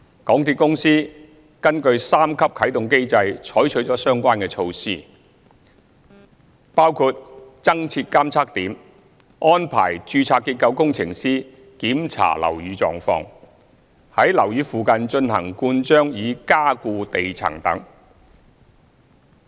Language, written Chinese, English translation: Cantonese, 港鐵公司根據三級啟動機制採取了相關措施，包括增設監測點、安排註冊結構工程師檢查樓宇狀況、於樓宇附近進行灌漿以加固地層等。, MTRCL had taken the relevant measures in accordance with the three - tier activation mechanism which included increasing the monitoring points inspecting the condition of buildings by registered structural engineer and grouting to reinforce the underground stratum